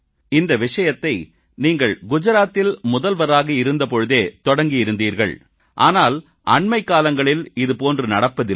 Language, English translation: Tamil, You had started this practice while you were in office in Gujarat, Sir, but in the recent days we have not been seeing much of this